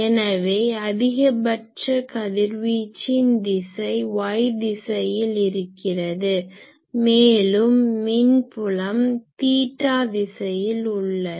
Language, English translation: Tamil, So, the direction of maximum radiation was y axis in this direction and electric field that is in the theta direction